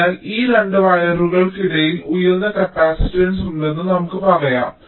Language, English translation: Malayalam, so between these two wires there is a high capacitance